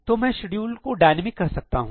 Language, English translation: Hindi, What will I say schedule dynamic